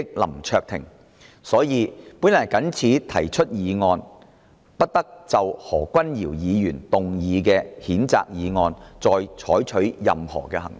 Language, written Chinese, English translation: Cantonese, 因此，我謹此提出議案，動議"不得就何君堯議員動議的譴責議案再採取任何行動"。, For this reason I hereby propose a motion and move that no further action shall be taken on the censure motion moved by Dr Junius HO